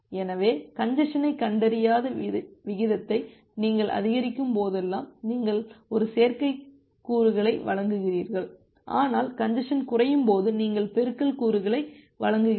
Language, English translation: Tamil, So, whenever you are increasing the rate that mean the congestion is not detected, you provide an additive component, but when congestion is decremented you provide the multiplicative components